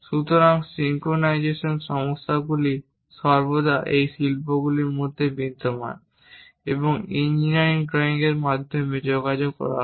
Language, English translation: Bengali, So, synchronization issues always be there in between these industries and that will be communicated through engineering drawings